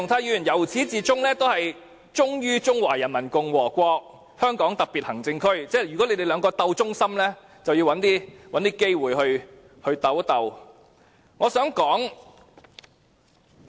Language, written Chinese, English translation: Cantonese, 由始至終，鄭松泰議員都忠於中華人民共和國香港特別行政區，如果要比試誰更忠心，他們便要再找機會比一下。, From the very beginning till the end Dr CHENG Chung - tai is loyal to the Peoples Republic of China and the SAR . To tell who is more loyal they have to find an opportunity to draw a comparison